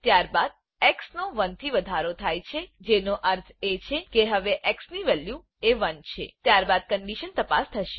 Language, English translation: Gujarati, We print the value as 0 Then x is incremented by 1 which means now the value of x is 1, then the condition will be checked